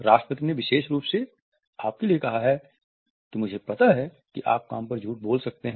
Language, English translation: Hindi, The President specifically asked for you do know I can tell when you lie on the job